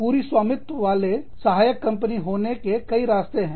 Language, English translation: Hindi, You could have, wholly owned subsidiaries